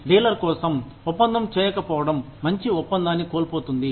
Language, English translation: Telugu, Not doing the deal, for the dealer, will be loss of good deal